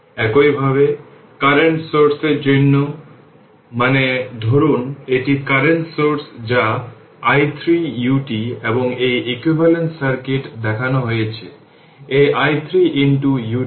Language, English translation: Bengali, Similarly, for the current source if you take; I mean suppose if you take a current source that i 0 u t and its equivalent circuit is shown; this is i 0 into u t